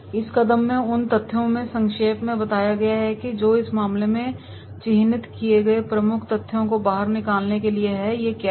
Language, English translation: Hindi, The steps will be summarised the facts the overall goal here is to pull out the key facts that has been marked in the case, what are these